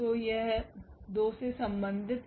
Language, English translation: Hindi, So, this is corresponding to 2